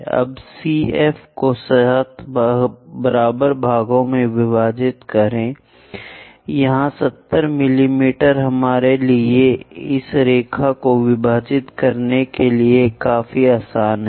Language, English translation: Hindi, Now divide CF into 7 equal parts, because it is 70 mm is quite easy for us to divide this line